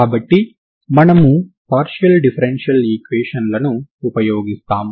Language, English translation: Telugu, This is a ordinary differential equation type, ok